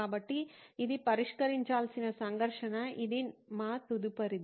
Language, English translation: Telugu, So that’s a conflict to be addressed which is what our next would be